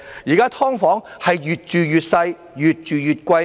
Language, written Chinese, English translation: Cantonese, 現時"劏房"越住越細、越住越貴。, Nowadays tenants are being plagued by ever - shrinking size and ever - increasing rent of SDUs